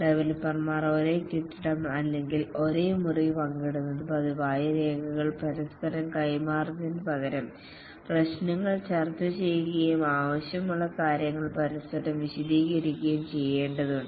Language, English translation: Malayalam, It is required that the developers share the same building or the same room, they meet regularly, discuss issues, rather than passing documents to each other, they go and explain to each other what is required and so on